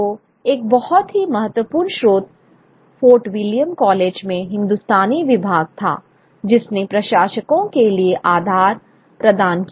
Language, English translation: Hindi, So, one very important source was the Hindustani Department in Fort William College, which provided the bedrock for the administrators